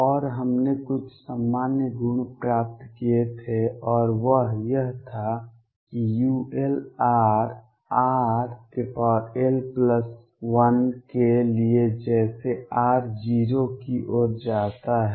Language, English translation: Hindi, And we had derived some general properties and that was that for u l u l r goes as r raise to l plus 1 as r tends to 0